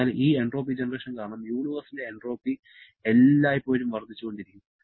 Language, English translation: Malayalam, So, entropy of the universe is always increasing because of this entropy generation